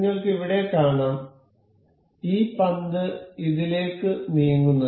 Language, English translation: Malayalam, You can see here, this ball can move into this